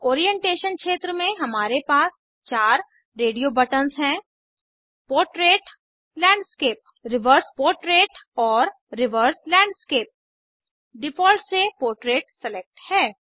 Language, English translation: Hindi, In the Orientation field we have radio buttons for Portrait, Landscape, Reverse portrait and Reverse landscape By default, Portrait is selected